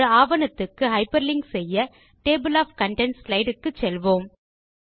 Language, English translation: Tamil, To hyperlink to another document, lets go back to the Table of Contents slide